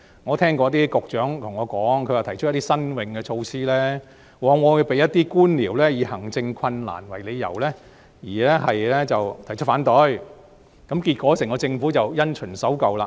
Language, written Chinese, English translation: Cantonese, 我曾聽過一些局長對我說，他們提出一些新穎措施時，往往遭一些官僚以行政困難為由而提出反對，結果整個政府便因循守舊。, Some Secretaries tell me that when they propose some innovative measures some bureaucrats will raise objection on grounds of administrative difficulties . As a result the entire Government will continue to stick to the same old rut